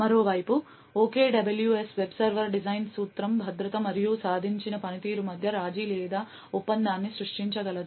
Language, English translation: Telugu, On the other hand, the OKWS web server design principle is able to create a compromise or a tradeoff between the security and the performance which is achieved